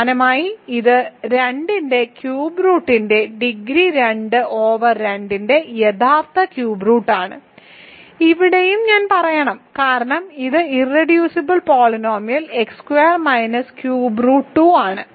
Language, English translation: Malayalam, So, it is one similarly what is the degree of cube root of 2 a real cube root of 2 over R, here also I should say is also one because it is irreducible polynomial is x minus cube root of 2